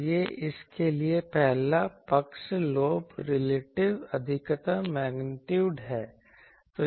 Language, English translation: Hindi, So, this is the a first side lobe relative maximum magnitude for this